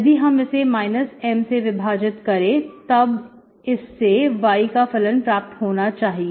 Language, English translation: Hindi, If I divide this with minus M, then it should be function of y